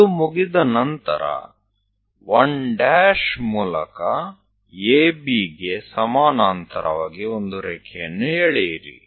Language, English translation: Kannada, Once that is done, through 1 dash draw a line parallel to AB